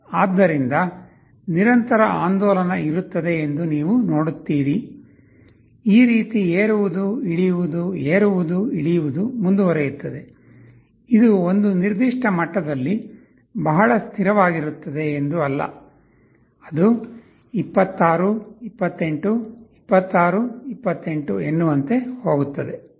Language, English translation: Kannada, So, you will see there will be a continuous oscillation like this up down, up down, up down this will go on, it is not that it will be very stable at a certain level, it will be going 26, 28, 26, 28 something like this will happen